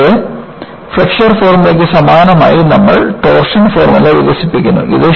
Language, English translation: Malayalam, And, similar to the Flexure formula, you develop the torsion formula